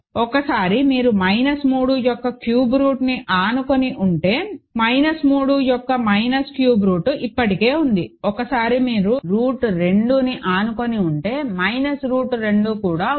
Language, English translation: Telugu, Once you adjoined cube root of minus 3, minus cube root of minus 3 is already there, once you adjoined root 2, minus root 2 is also there